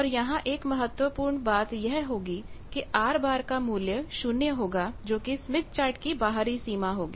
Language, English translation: Hindi, And there is one important point R bar is equal to 0 that is the outer boundary of the whole smith chart